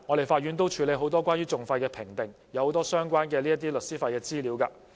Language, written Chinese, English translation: Cantonese, 法院每天處理很多關於訟費的評定，又有很多相關的律師費資料。, Every day the Court handles many assessments on litigation costs as well as relevant information on solicitor fees